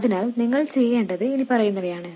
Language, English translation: Malayalam, So, what you have to do is the following